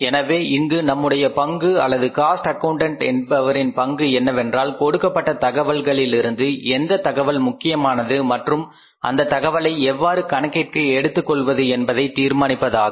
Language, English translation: Tamil, So, our say, role is or as the role of the cost accountant is that to from the given information he has to find out which information is important for him and how to take that information into account